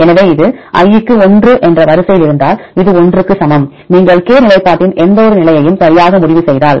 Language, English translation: Tamil, So, this equal to 1 if a in the sequence k at position i, if you decide position right any position i in the sequence k